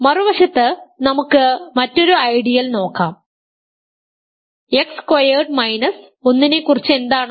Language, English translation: Malayalam, On the other hand let us look at another ideal, what about X squared minus 1